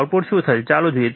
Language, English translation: Gujarati, So, what is the output